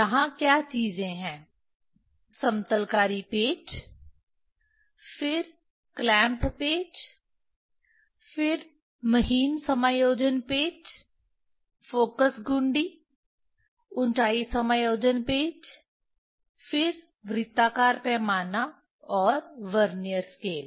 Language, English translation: Hindi, What are the things are there: leveling screws, then clamp screws, then fine adjustment screws, focus knob, height adjustment screw, then circular scale, and Vernier scale